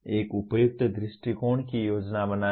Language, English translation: Hindi, Planning an appropriate approach